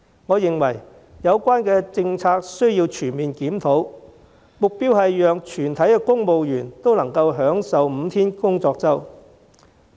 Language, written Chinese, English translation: Cantonese, 我認為有關政策需要全面檢討，目標是讓全體公務員都能享受5天工作周。, I think that the policy needs to be reviewed comprehensively so that all civil servants can enjoy the five - day work week